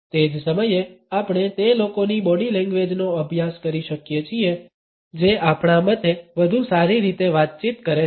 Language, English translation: Gujarati, At the same time, we can study the body language of those people who in our opinion are better communicators